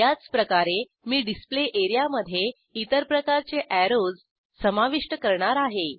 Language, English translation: Marathi, Likewise I will add other types of arrows to the Display area